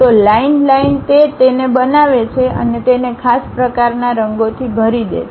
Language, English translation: Gujarati, So, line by line it construct it and fills it by particular kind of colors